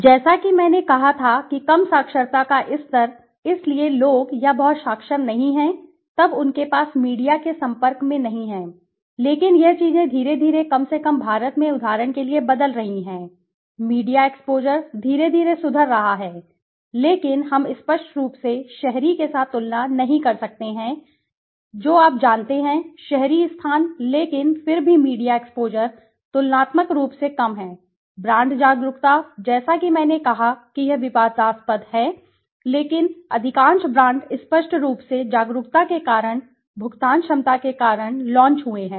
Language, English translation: Hindi, Low literacy levels as I said right so people or not very literate right then they do not have exposure to media but this things are slowly changing for example at least in India the media exposure is slowly improving but we obviously cannot compare it with the urban you know urban places but still the media exposure is comparably lesser, brand awareness as I said it is controversial but yes most of the brands they launched into the obviously because of the awareness, because of the paying ability